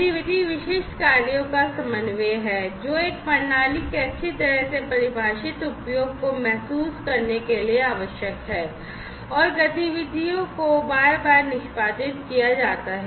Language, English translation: Hindi, Activity is the coordination of specific tasks, that are required to realize a well defined usage of a system and activities are executed repeatedly